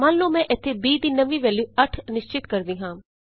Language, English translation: Punjabi, Suppose here I will reassign a new value to b as 8